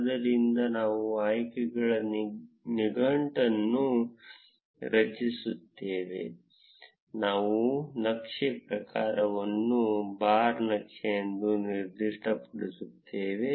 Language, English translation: Kannada, So, we create a dictionary of options, we specify the chart type as bar chart